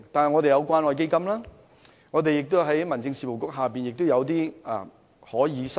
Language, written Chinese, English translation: Cantonese, 我們有關愛基金，民政事務局下亦有些資助基金可以申請。, We have the Community Care Fund and we can also apply to some subsidy funds under HAD